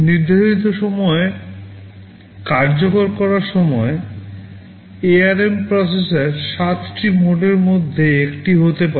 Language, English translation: Bengali, The ARM processor during execution at a given time, can be in one of 7 modes